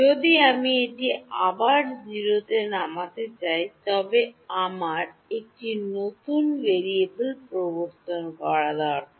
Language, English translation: Bengali, If I want to bring it back down to 0, I need to introduce a new variable